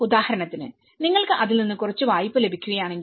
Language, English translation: Malayalam, Like for instance, if you are getting some loan out of it